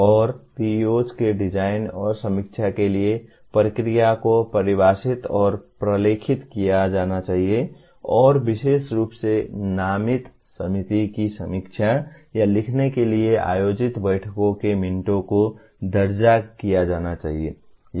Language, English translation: Hindi, And the process for design and review of PEOs should be defined and documented and minutes of the meetings held specifically to review or write of the designated committee should be recorded